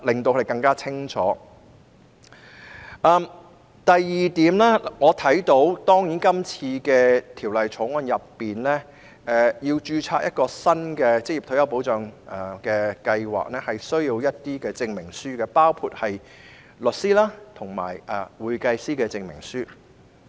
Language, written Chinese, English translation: Cantonese, 第二，如要在《條例草案》下註冊一個新的職業退休計劃，需要提交一些證明書，包括律師及會計師的證明書。, Secondly if a new OR Scheme is to be registered under the Bill it requires the submission of some certificates including certificates from lawyers and accountants